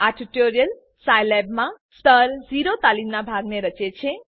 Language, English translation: Gujarati, These tutorial form a part of Level 0 training in Scilab